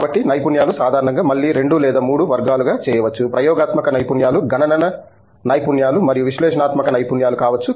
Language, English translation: Telugu, So, the skills typically broadly again fit into 2 or 3 categories, Experimental skill sets, Computational skill sets and may be Analytical skill sets